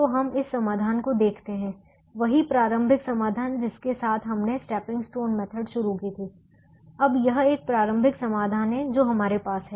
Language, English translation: Hindi, so we look at this solution, the same starting solution with which we started one of the stepping stone methods